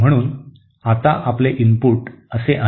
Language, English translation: Marathi, Therefore my input is now like this